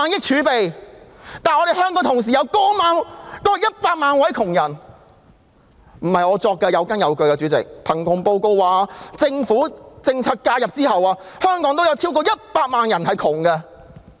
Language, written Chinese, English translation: Cantonese, 主席，不是我亂說，而是有根有據的：據貧窮報告顯示，在政府政策介入後，香港仍有超過100萬名窮人。, Chairman I am not speaking without any basis as there is actually one According to the poverty report there are still over 1 million poor people in Hong Kong even after government policy intervention